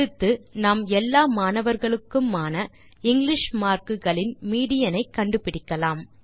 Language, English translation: Tamil, Next, let us calculate the median of English marks for the all the students